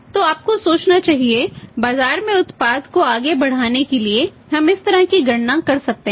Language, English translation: Hindi, So, you should think of; so for pushing the product in the market we can do this kind of the say calculations